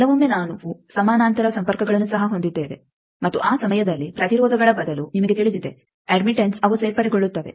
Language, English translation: Kannada, Sometimes you know that we will also have parallel connections and that time instead of impedances you know admittances they get added